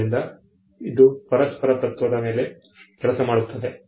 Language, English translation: Kannada, So, it worked on the principle of reciprocity